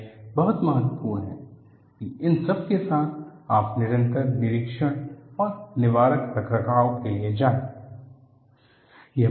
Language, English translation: Hindi, This is very important; with all this, go for periodic inspection and preventive maintenance